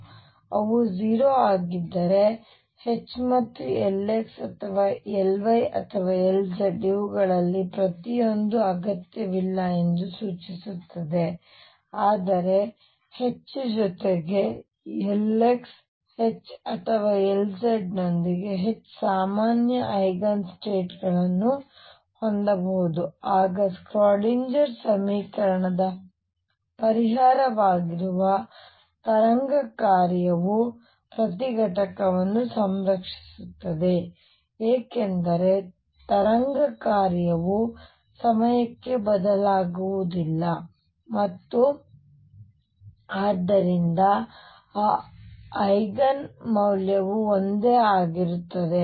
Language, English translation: Kannada, And if they are 0 this also implies that H and L x or L y or L z not necessarily each one of these, but H with L x H with L y or H with L z can have common eigen states then only the wave function that is a solution of the Schrodinger equation would have the each component being conserved, because the wave function does not change with time and therefore, that eigen value remains the same